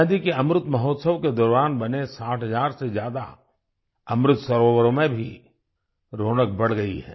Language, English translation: Hindi, More than 60 thousand Amrit Sarovars built during the 'Azaadi ka Amrit Mahotsav' are increasingly radiating their glow